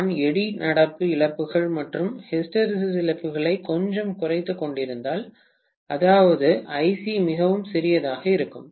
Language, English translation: Tamil, If I am decreasing the eddy current losses and hysteresis losses quite a bit, that means Ic is going to be really really small, right